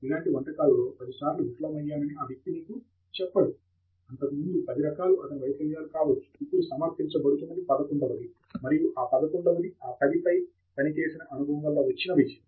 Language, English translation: Telugu, That cook will not tell you that there were ten dishes of this types which were burnt earlier; this is the eleventh one that is being presented; and this eleventh one is success because of the experience with those ten ones